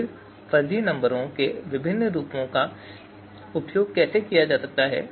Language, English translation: Hindi, Then how you know, different fuzzy numbers different forms of fuzzy numbers can be used